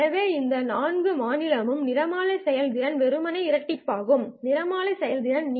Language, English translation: Tamil, So any four state spectral efficiency would then simply double up the spectral efficiency